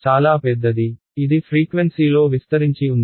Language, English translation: Telugu, Very large; it is spread out in frequency